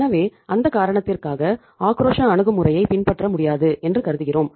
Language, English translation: Tamil, So for that reason we assume that it is not possible to follow the aggressive approach